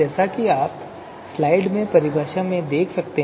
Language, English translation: Hindi, So you can see the definition in the slide as well